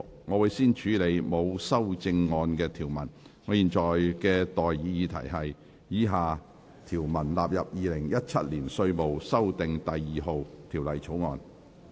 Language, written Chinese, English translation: Cantonese, 我現在向各位提出的待議議題是：以下條文納入《2017年稅務條例草案》。, I now propose the question to you and that is That the following clauses stand part of the Inland Revenue Amendment No . 2 Bill 2017